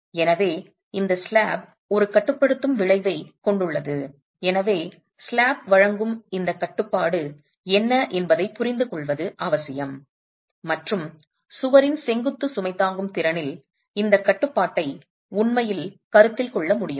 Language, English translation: Tamil, So, this slab has a restraining effect and it's essential therefore to be able to understand what is this restraint offered by the slab and can this restraint actually be considered in the vertical load carrying capacity of the wall itself